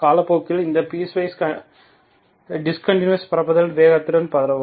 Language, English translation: Tamil, So as time goes, still this discontinuity will propagate with the speed of propagation